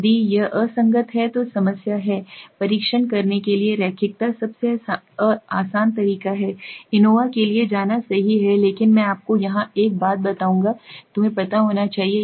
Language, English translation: Hindi, If it is inconsistent then there is the problem, to test the linearity the easiest way is to go for the ANOVA right so but I will tell you one thing here which you should know